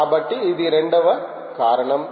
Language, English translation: Telugu, so thats the second reason